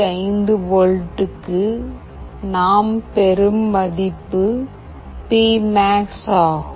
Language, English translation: Tamil, 5 volt the value we are getting is P max